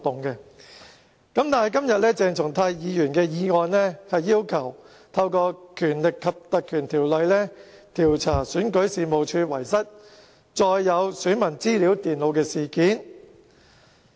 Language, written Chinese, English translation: Cantonese, 但是，今天鄭松泰議員的議案，是要求運用《立法會條例》，調查選舉事務處遺失載有選民資料的手提電腦的事件。, However today Dr CHENG Chung - tais motion requests the invocation of the Legislative Council Ordinance to inquire into the loss of REOs notebook computers